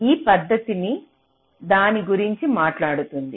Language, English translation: Telugu, so this method talks about that